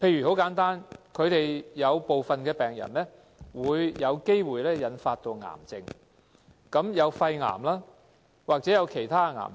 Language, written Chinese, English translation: Cantonese, 簡單而言，有部分病人有機會由肺積塵病引發癌症，包括肺癌或其他癌症。, For example certain patients may have cancer caused by pneumoconiosis including lung cancer or other kinds of cancers